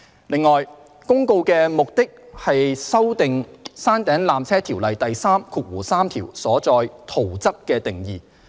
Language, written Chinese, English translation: Cantonese, 另外，《公告》旨在修訂《條例》第33條所載"圖則"的定義。, On the other hand the Notice sought to amend the definition of Plan in section 33 of PTO